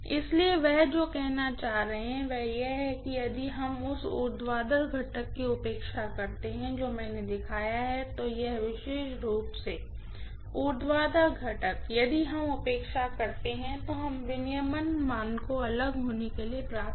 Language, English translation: Hindi, So, what he is trying to say is if we neglect that vertical component whatever I have shown, this particular vertical component if we neglect then we are getting the regulation value to be different